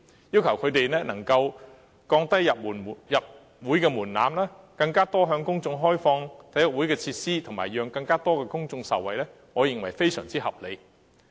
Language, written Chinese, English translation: Cantonese, 要求他們降低入會門檻，更多向公眾開放體育會的設施，讓更多公眾受惠，我認為是非常合理的。, I think it is very reasonable to require them to lower their membership thresholds and to open more facilities in their sports clubs to the public so as to benefit more people